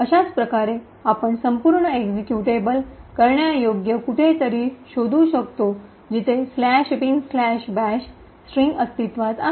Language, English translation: Marathi, In a similar way we can find somewhere in the entire executable where the string slash bin slash bash is present